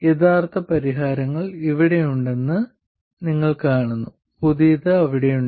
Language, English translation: Malayalam, You see that the original solution is here and the new one is there